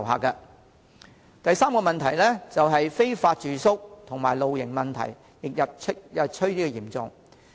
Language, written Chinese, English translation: Cantonese, 第三，非法住宿和露營問題日趨嚴重。, Third the problems of illegal accommodation and camping problems are increasingly serious